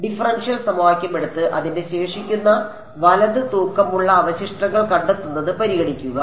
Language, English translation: Malayalam, Take the differential equation and consider find its residual right weighted residuals